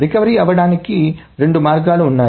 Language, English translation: Telugu, So, there are two ways of recovering